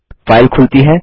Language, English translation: Hindi, The file opens